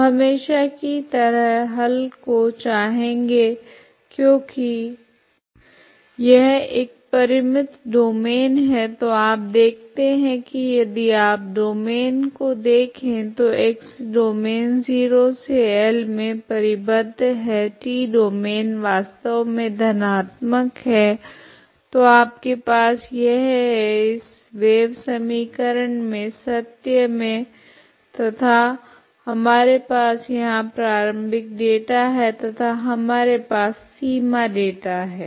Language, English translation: Hindi, So solution as usual just look for solution because it is a finite domain so you see that if you look at the domain of x t domain so x domain is bounded 0 to L, t domain is actually positive so you have a this actually t is only positive so this is your domain this is your domain is not this (())(4:02) than 0, okay so this is within this this kind of this is the kind of domain so you have this is your domain within this wave equation is true and we have the initial data is here and we have boundary data